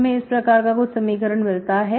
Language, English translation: Hindi, Now you are multiplying this equation like this